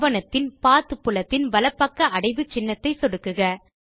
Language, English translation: Tamil, Click on the folder icon to the right of the Document Path field